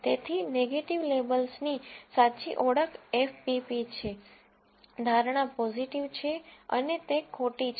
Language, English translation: Gujarati, So, correct identification of negative labels F P P, the prediction is positive and it is false